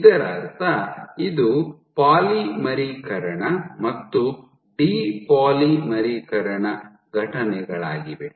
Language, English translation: Kannada, So, polymerization and de polymerization both